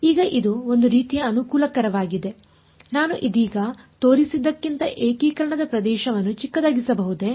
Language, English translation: Kannada, Now it’s sort of convenient can I make the region of integration smaller than what I have shown right now